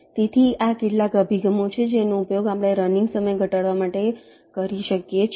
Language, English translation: Gujarati, ok, so these are some approaches you can use for reducing the running time and ah